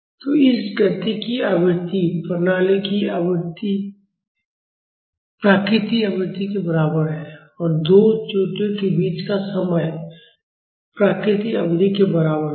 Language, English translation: Hindi, So, the frequency of this motion is equal to the natural frequency of the system and the time between two peaks will be equal to the natural period